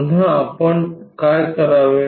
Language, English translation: Marathi, Again what we have to do